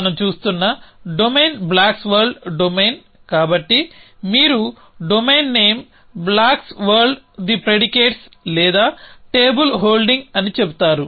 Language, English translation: Telugu, So, the domain that we are looking at is the blocks world domain so you would say domain name is blocks world the predicates or on table holding